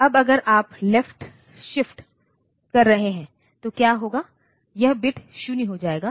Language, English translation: Hindi, Now, if you are doing a left shift then what will happen, this bit will become 0